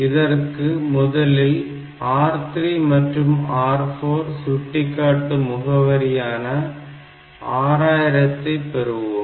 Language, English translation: Tamil, First we have to get; so, R 3 and R 4 they are actually pointing to the memory location 6000